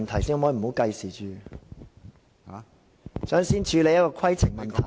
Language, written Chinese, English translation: Cantonese, 朱議員，這並非規程問題。, Mr CHU Hoi - dick this is not a point of order